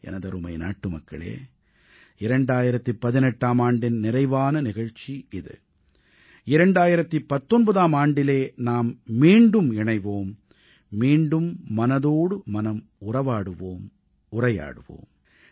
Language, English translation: Tamil, My dear countrymen, this is the last episode of the year 2018, we will meet again in 2019, and will engage in another episode of Mann Ki Baat